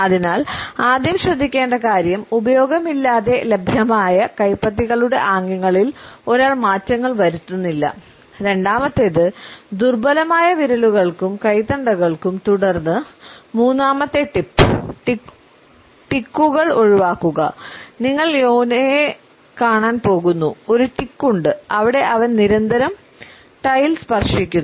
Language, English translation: Malayalam, So, the first thing pay attention one for no use of like make in the palms available, second for flimsy fingers and wrists and then third tip today is to avoid ticks you are going see that Jonah has a tick where he constantly touches his tie